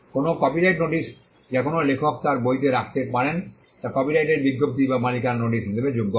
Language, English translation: Bengali, A copyright notice which an author can put in his or her book qualifies as a notice of copyright or notice of ownership